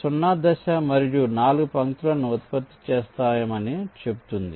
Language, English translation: Telugu, so the step zero says we generate four lines